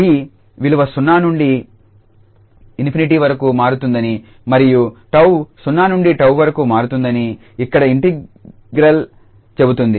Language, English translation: Telugu, So, the integral here says that the t is varying from 0 to infinity and tau varies from 0 to tau